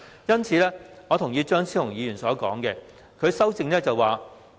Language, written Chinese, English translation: Cantonese, 因此，我同意張超雄議員的修正案。, So I agree with Dr Fernando CHEUNGs amendment